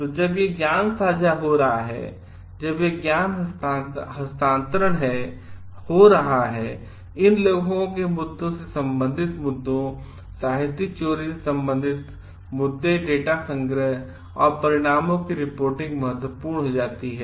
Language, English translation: Hindi, So, when this knowledge sharing is happening, when this knowledge transfer is happening, issues related to these authorship issues related to plagiarism, issues related to data collection and reporting of results becomes important